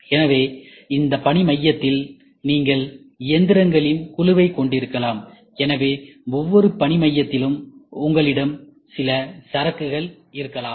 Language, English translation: Tamil, So, in this work centre you might have a group of machines whatever it is, so there that every work centre you might have some inventory